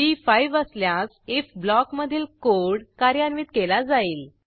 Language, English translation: Marathi, When it is equal to 5, the code within the if block will get executed